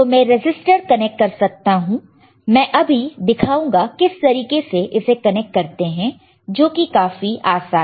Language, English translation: Hindi, So, I can again connect the resistor I will just show it to you, this way, you see